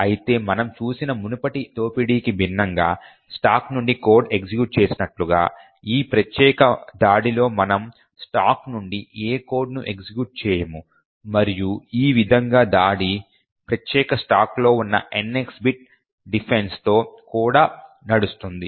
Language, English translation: Telugu, However unlike the previous exploit that we have seen where code is executed from the stack in this particular attack we do not execute any code form the stack and in this way the attack would run even with the NX bit defense that is present for that particular stack